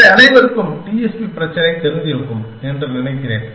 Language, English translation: Tamil, So, I suppose everyone is familiar with the TSP problem